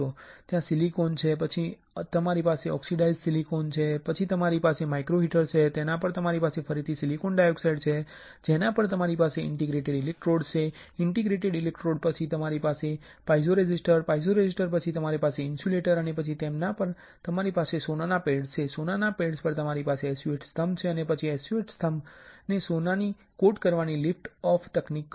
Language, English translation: Gujarati, There is a silicon, then you have an oxidized silicon, then you have a microheater, on that you have a silicon dioxide again, on which you have an interdigitated electrodes, after interdigitated electrodes you have a piezoresistor; after piezoresistor you have insulator and over which you have a gold pads, on gold pads you have a SU8 pillar and then you perform the liftoff technique to coat SU8 pillars with gold